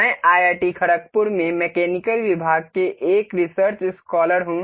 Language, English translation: Hindi, I am research scholar in the Mechanical Department in IIT, Khargpur